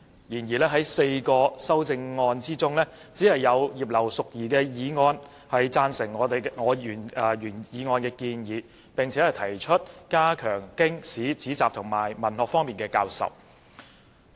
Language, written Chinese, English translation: Cantonese, 然而，在4項修正案之中，只有葉劉淑儀議員的修正案贊成我原議案的建議，並提出加強經史子集及文學方面的教授。, However of the four amendments only Mrs Regina IPs amendment endorses the proposal in my original motion and proposes to strengthen the teaching of Chinese classical works historical works philosophical works and belles - lettres as well as other Chinese literary classics